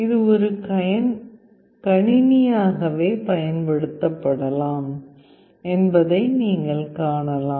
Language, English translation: Tamil, You can see that it can be used as a computer itself